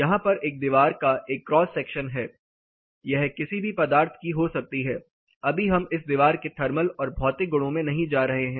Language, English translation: Hindi, There is a cross section of a wall; it can be any material for now we are not getting into what are the thermal and physical properties of this wall